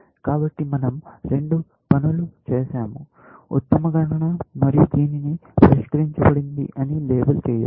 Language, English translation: Telugu, So, we have done two things; compute best, and possibly labeled it solved